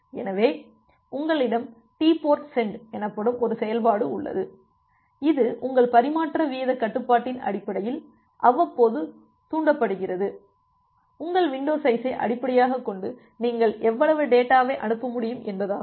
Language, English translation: Tamil, So, you have a function called TportSend, it is triggered periodically based on your transmission rate control your based on your flow control algorithm; based on your window size that how much data you can send